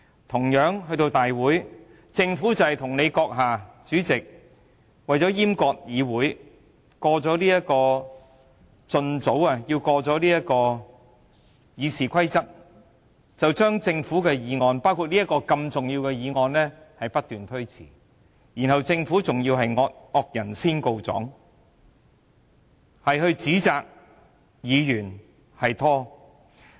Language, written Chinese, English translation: Cantonese, 同樣地，政府與大會主席閣下為了閹割議會，盡早通過修改《議事規則》，就把政府的議案，包括如此重要的《條例草案》不斷推遲，政府之後更"惡人先告狀"，指責議員拖延。, By the same token for the sake of castrating the Legislative Council to ensure the passage of the amendments to the Rules of Procedure expeditiously the Government and the Legislative Council President continued to defer the Government motions including this Bill of great importance . Later the Government even criticized Members for delaying all this whereas it is the perpetrator in the first place